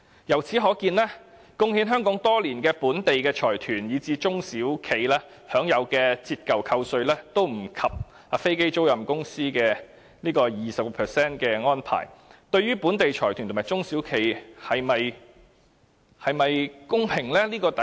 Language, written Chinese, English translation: Cantonese, 由此可見，貢獻香港多年的本地財團以至中小企，其享有的折舊扣稅都不及飛機租賃公司 20% 的安排，對於本地財團和中小企是否公平呢？, We can see that all the local consortiums or small and medium enterprises SMEs which have been making contributions to Hong Kong over the years are not entitled to tax depreciation allowances as good as the 20 % enjoyed by aircraft leasing companies . Is it fair to local consortiums and SMEs?